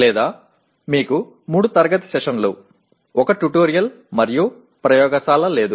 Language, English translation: Telugu, Or you may have 3 classroom sessions, 1 tutorial and no laboratory